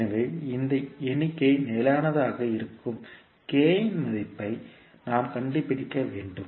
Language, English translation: Tamil, So we need to find out the value of K for which this particular figure will be stable